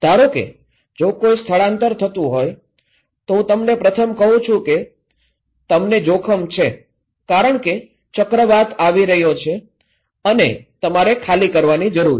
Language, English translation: Gujarati, Suppose, if there is an evacuation, I first tell you that okay you are at risk because cyclone is coming and you need to evacuate